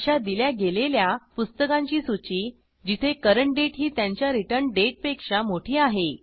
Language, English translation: Marathi, The list of books issued when the current date is more than the return date